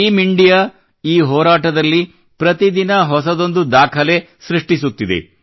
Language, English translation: Kannada, Team India is making new records everyday in this fight